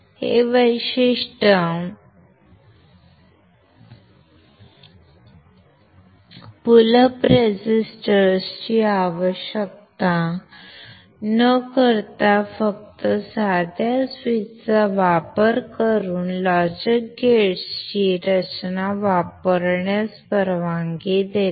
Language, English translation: Marathi, This characteristic allows the design of logic gates using only simple switches without need of pull up resistors, when we do not require pull up resistors